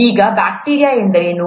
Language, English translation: Kannada, Now what is bacteria